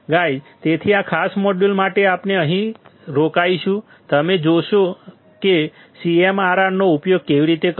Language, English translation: Gujarati, Guys, so for this particular module; we will stop here now, you now how to use the CMRR